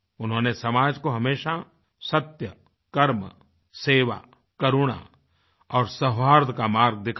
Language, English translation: Hindi, He always showed the path of truth, work, service, kindness and amity to the society